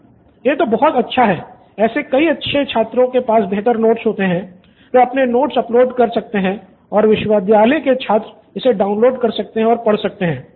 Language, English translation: Hindi, That’s a good one like many good students have good notes, so they can upload their notes and university students can download it and read it Right